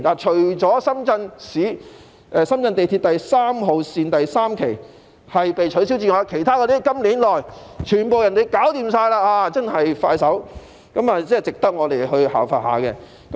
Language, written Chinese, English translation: Cantonese, 除了深圳地鐵3號線第三期被取消外，其他鐵路在今年內全部完成，真的十分迅速，值得我們效法。, Apart from the cancellation of phase III of Line 3 of Shenzhen Metro all the other railway projects have been completed this year . So they are really progressing rapidly and they serve as a good example for us to follow